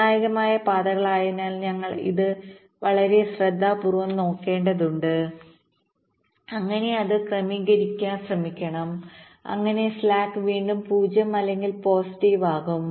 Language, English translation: Malayalam, because it is the critical paths, we have to look at it very carefully and try to adjust its so that the slack again becomes zero or positive